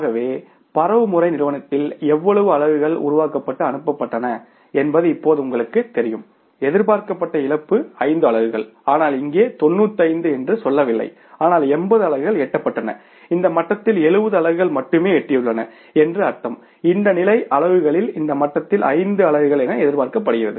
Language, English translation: Tamil, So it means now you know it that how much units were generated and passed down to the transmission company expected loss was 5 units but if for example here the say not 95 but the 80 units have reached and at this level only 70 units have reached it means the expected loss was what 5 units at this level at this level But here we are seeing 20 units are lost at this level and 10 units are lost at this level